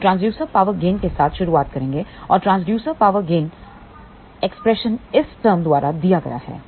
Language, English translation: Hindi, We will start with the Transducer Power Gain and Transducer Power Gain expression is given by this term over here